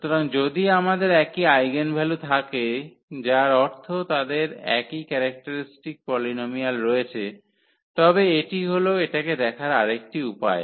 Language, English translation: Bengali, So, if we have the same eigenvalues meaning they have the same characteristic polynomial, but this is just another way of looking at it